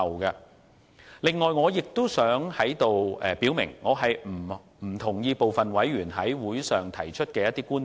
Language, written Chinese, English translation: Cantonese, 此外，我亦想在此表明，我不同意部分委員在會上提出的觀點。, Also I wish to make it very clear that I do not buy the points raised by certain members at the meetings